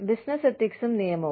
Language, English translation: Malayalam, Business ethics and the law